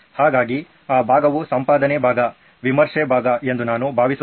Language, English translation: Kannada, So I think that part is editing, doing the editing part, review part